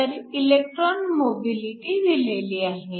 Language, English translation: Marathi, So, electron mobility is given